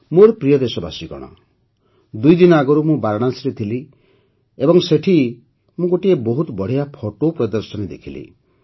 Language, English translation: Odia, My dear countrymen, two days ago I was in Varanasi and there I saw a wonderful photo exhibition